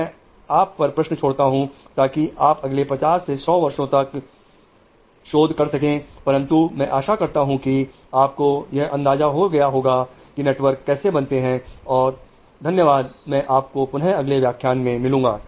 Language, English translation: Hindi, So, I will leave the questions to you so you can carry on the next 50 100 years of research and but I hope you got an idea of how networks form and so thank you